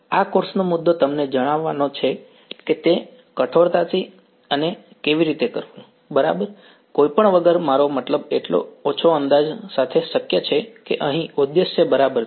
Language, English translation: Gujarati, The point of this course is to tell you how to do it rigorously and exactly, without any without I mean with as little approximation is possible that is the objective over here ok